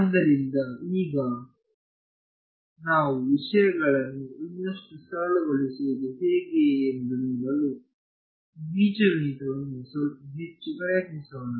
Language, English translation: Kannada, So, now, let us try a little bit more of algebra to see how we can simplify things further